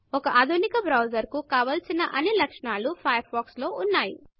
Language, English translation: Telugu, Firefox has all the features that a modern browser needs to have